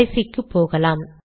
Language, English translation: Tamil, The last one